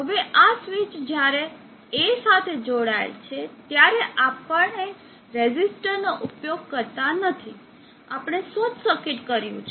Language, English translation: Gujarati, Now this switch when it is connected to A, we do not use a resistor now we just did a short circuit